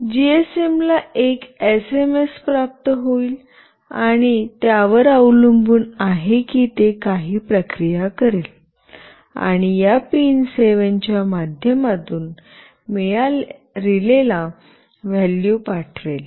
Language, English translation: Marathi, GSM will receive an SMS, and depending on that it will do some processing, and send a value through this pin 7 to the relay